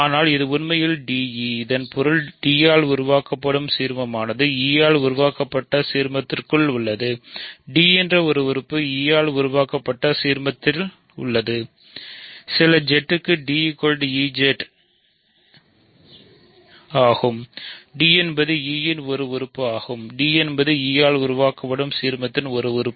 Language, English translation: Tamil, But this is actually d e so; that means, the ideal generated by d is contained in the ideal generated by e; that means, the element d is in the ideal generated by e; that means, d is equal to e z for some z right d is an element of e means d is an element of the ideal generated by e means d is of the form e times some other ring element; that means, e divides d